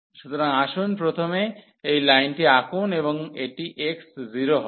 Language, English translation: Bengali, So, let us draw first this line and that will be x 0